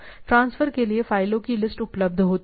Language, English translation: Hindi, List files available for transfer